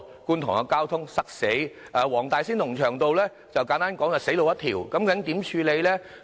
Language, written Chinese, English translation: Cantonese, 觀塘的交通嚴重擠塞，黃大仙龍翔道簡單來說就是死路一條。, The traffic in Kwun Tong is heavily congested and the section of Lung Cheung Road in Wong Tai Sin is simply a dead end